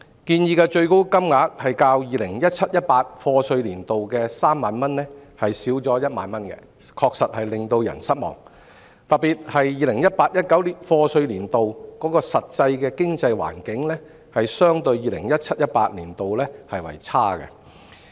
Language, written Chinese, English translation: Cantonese, 建議的最高金額較 2017-2018 課稅年度的3萬元減少1萬元，確實令人失望，特別是 2018-2019 課稅年度的實際經濟環境相對 2017-2018 年度為差。, It is certainly disappointing that the proposed ceiling was 10,000 less than the 30,000 proposed for year of assessment 2017 - 2018 not least because the actual economic environment of year of assessment 2018 - 2019 was worse compared to that of 2017 - 2018